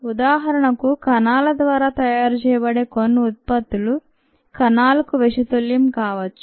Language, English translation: Telugu, for example, some products that are made by this cells can be toxic to the cells themselves